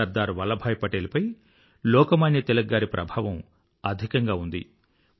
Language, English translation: Telugu, Sardar Vallabh Bhai Patel was greatly impressed by Lok Manya Tilakji